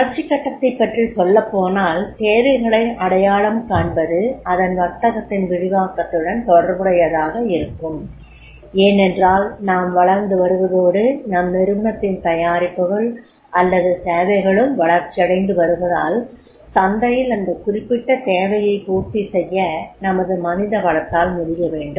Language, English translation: Tamil, Whenever we talk about the growth stage then the training identifying needs will be related to the expansion of the business because as we grow and the growth is there of the products or services then our main power should be able to fulfill that particular demand in the market